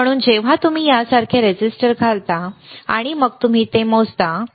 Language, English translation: Marathi, So, when you insert the resistor like this, and then you measure it, right